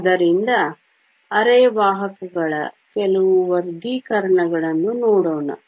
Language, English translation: Kannada, So, let us now look at some Classifications of semiconductors